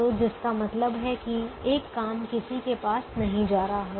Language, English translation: Hindi, so, which means one job is not going to go to anybody